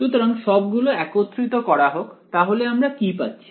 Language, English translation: Bengali, So, let us just put it all together, what do we have then